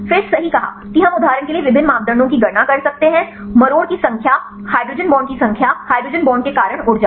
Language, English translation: Hindi, Then the right said we can calculate various parameters for example, torsion number of torsions, number of hydrogen bonds, energy due to hydrogen bonds